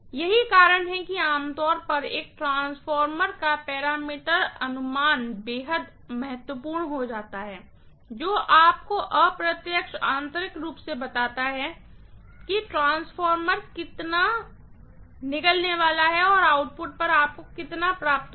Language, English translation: Hindi, That is the reason why generally the parameter estimation of a transformer becomes extremely important, that tells you indirectly, internally how much the transformers is going to swallow and how much will you get at the output